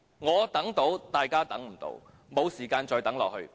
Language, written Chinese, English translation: Cantonese, 我能等，但大家不能等，我們沒有時間再等下去。, I can wait but people cannot . We have no more time for waiting